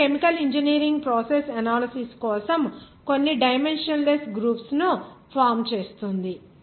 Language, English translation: Telugu, Now for chemical engineering process analysis like this forms some dimensionless groups